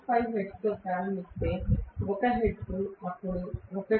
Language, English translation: Telugu, 5 hertz, then 1 hertz, then 1